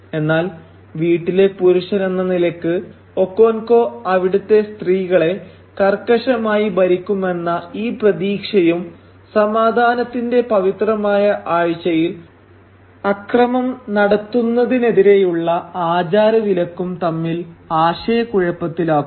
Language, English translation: Malayalam, But this expectation, that as the man of the house Okonkwo will keep a very tight leash on the women folk of the house, comes in conflict with the ritual prohibition against committing violence in the sacred week of peace